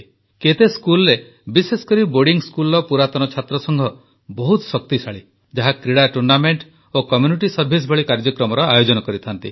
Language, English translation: Odia, Alumni associations are robust in many schools, especially in boarding schools, where they organize activities like sports tournaments and community service